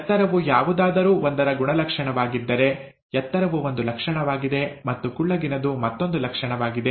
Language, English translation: Kannada, If height of something is a character, then tall is a trait and short is another trait, and so on